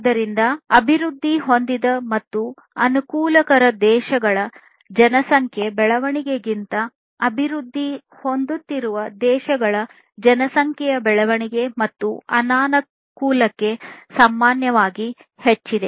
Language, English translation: Kannada, So, the population growth of countries developing and disadvantage is typically greater than the population growth of the developed and advantaged countries